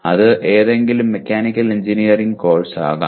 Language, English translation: Malayalam, It can be any mechanical engineering course